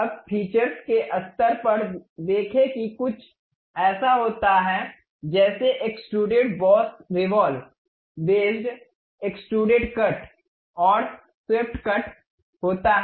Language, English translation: Hindi, Now, see at the features level there is something like extruded boss revolve base extruded cut and swept cut